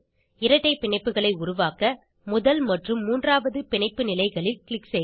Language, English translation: Tamil, Click on Add a bond tool and click on first and third bonds positions, to form double bonds